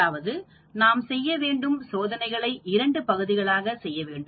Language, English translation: Tamil, That means, we need to perform the experiments in two parts